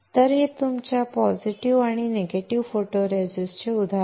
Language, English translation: Marathi, So, this is the example of your positive and negative photoresist